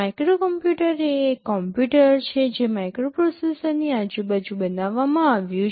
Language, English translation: Gujarati, Microcomputer is a computer which is built around a microprocessor